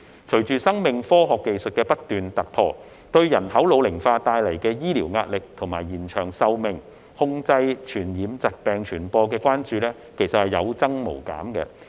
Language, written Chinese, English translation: Cantonese, 隨着生命科學技術不斷突破，對人口老齡化帶來的醫療壓力，以及延長壽命、控制傳染疾病傳播的關注有增無減。, With the continuous breakthroughs in life science technology there is a growing concern about the medical pressure brought by the ageing population as well as the extension of life expectancy and control of the spread of infectious diseases